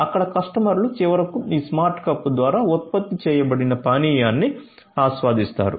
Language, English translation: Telugu, So, customers there after enjoy the beverage that is finally, produced through this smart cup